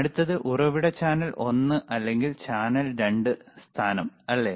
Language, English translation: Malayalam, Source channel one or channel 2 position, right